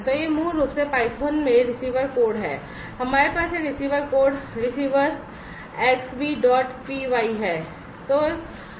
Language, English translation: Hindi, So, this is basically the receiver code in python we have this receiver code receiver Xbee dot p y